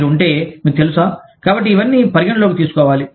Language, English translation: Telugu, If you are, so you know, so all of that, has to be taken into account